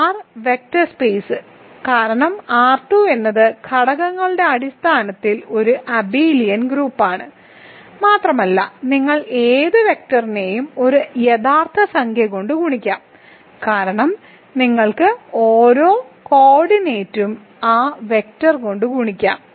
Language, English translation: Malayalam, So, typical example is R 2 is an R vector space right, because R 2 is an abelian group by component wise addition and you can multiply any vector by a real number because you can multiply each coordinate by that vector